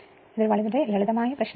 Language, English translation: Malayalam, So, this problem is a simple problem